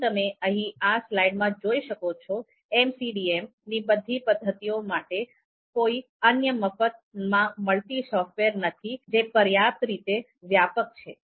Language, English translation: Gujarati, As you can see here in the slide, there is no unique free software for all MCDM MCDA methods that is sufficiently comprehensive